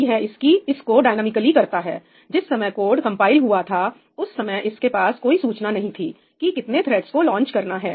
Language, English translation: Hindi, So, this is doing it dynamically, at the time that the code was compiled it had no information of how many threads are supposed to be launched, right